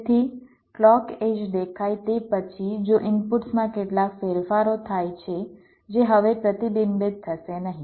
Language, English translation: Gujarati, so, after the clock edge appears, if there are some changes in the inputs, that will no longer be reflected